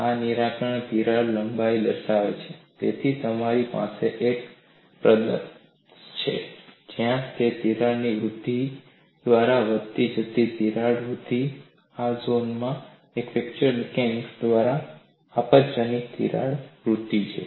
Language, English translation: Gujarati, You get the critical crack length from that graph this will denote the critical crack length, so you have a region where it is incremental crack growth by crack growth mechanism, and in this zone it is catastrophic crack growth by fracture mechanism